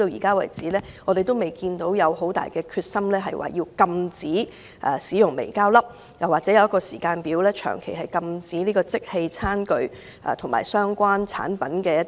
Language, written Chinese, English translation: Cantonese, 我們至今未看到政府有很大決心禁止使用微膠粒，或訂立時間表長期禁止使用即棄餐具及相關產品。, To date the Government is not very determined to ban the use of microplastics or set a timetable to stop the use of disposable plastic tableware and related products in the long run